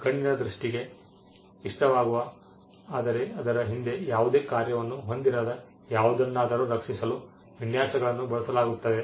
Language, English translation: Kannada, Designs are used to protect something that appeals to the eye something that is visually appealing to the eye but does not have a function behind it